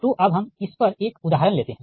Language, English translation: Hindi, so let us take one example on this